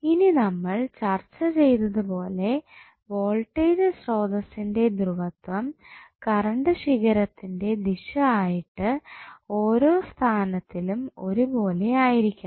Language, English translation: Malayalam, Now, as we discuss that polarity of voltage source should be identical with the direction of branch current in each position